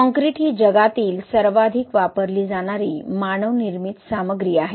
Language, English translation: Marathi, As we all know that Concrete is the most used man made material in the world